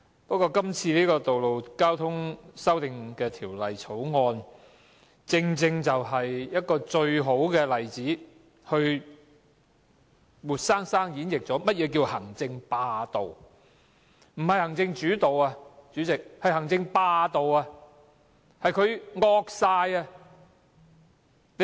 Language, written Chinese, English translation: Cantonese, 不過，《2017年道路交通條例草案》正是最佳例子，活生生演繹了何謂行政霸道，不是行政主導，而是政府"惡晒"。, However the Road Traffic Amendment Bill 2017 the Bill is the best example that vividly illustrates the hegemony of the Executive Authorities . The Government is not executive - led but it acts like a tyrant